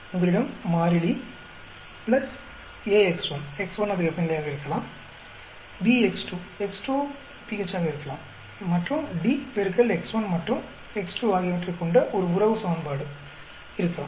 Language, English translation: Tamil, You may have constant plus ax1 that could be temperature; bx2, x2 could be pH and also there could be a relationship equation which has d into x1 and x2